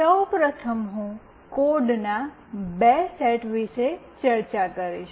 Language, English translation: Gujarati, First of all, I will be discussing two sets of code